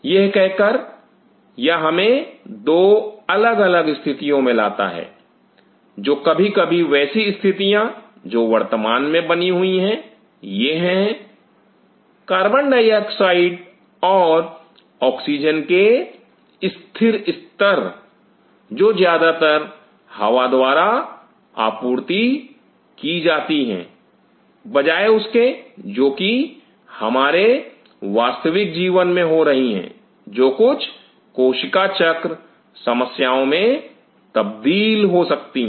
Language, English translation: Hindi, Having said this, this brings us to 2 different situations, such sometime such situation this situation which is currently prevailing this is the constant level of CO2 and oxygen which is mostly supplied by the air unlike what is happening in real life can lead to certain cell cycle issues